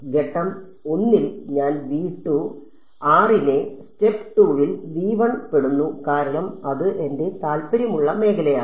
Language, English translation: Malayalam, So, in step 1 I made r belong to v 2 in step 2 I make r belong to v 1 because that is my region of interest